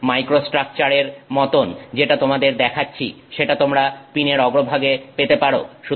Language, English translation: Bengali, What I am showing you is the likely microstructure that you might have at the top of that pin